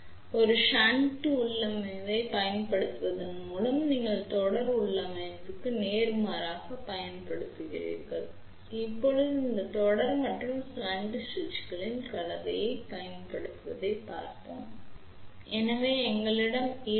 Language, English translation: Tamil, So, by using a shunt configuration, you have to use opposite of the series configuration, for series we have to do forward bias for on switch here we have to reverse bias for on switch